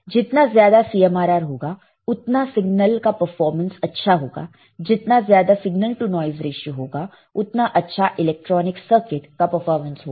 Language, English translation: Hindi, Higher CMRR better the better the performance signal, higher signal to noise ratio better the performance of electronic circuit all right